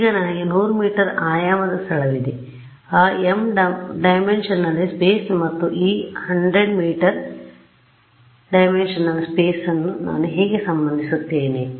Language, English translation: Kannada, Now I have 100 m dimensional space how do I relate that m dimensional space and this 100 m dimensional space